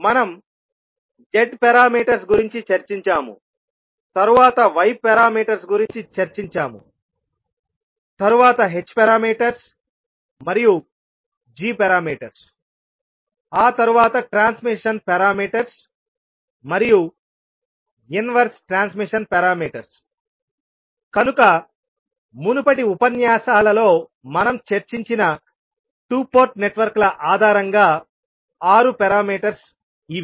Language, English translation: Telugu, We discussed about Z parameters, then we discussed about Y parameters, then H parameters, then G parameters, then transmission parameters and the inverse transmission parameters, so these were the 6 parameters based on two port networks we discussed in our previous lectures